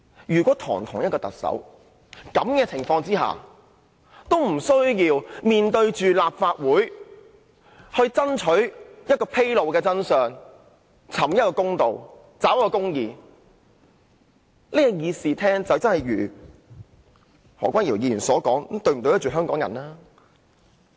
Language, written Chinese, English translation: Cantonese, 如果堂堂一名特首在這種情況下也無須面對立法會，讓立法會爭取披露真相、尋公道及找公義，那麼這個議事廳便會如何君堯議員所問，這樣對得起香港人麼？, If the Chief Executive is not required under the present circumstances to be answerable to the Legislative Council and if the Legislative Council is not allowed to find out the truth and seek justice then how can this Chamber live up to the expectation of Hong Kong people as asked by Dr Junius HO?